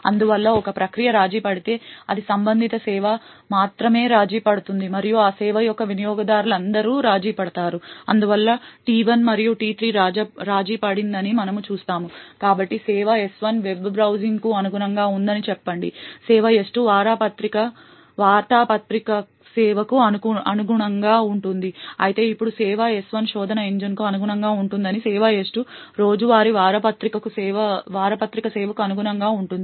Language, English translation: Telugu, Therefore, if a process gets compromised then it is only that corresponding service that gets compromised and all users of that service would get hence compromised, thus we see that T1 and T3 is compromised, so let us say that service S1 corresponds to the web browsing while service S2 corresponds to the newspaper service, now let us say that service S1 corresponds to the search engine while service S2 corresponds to the daily newspaper service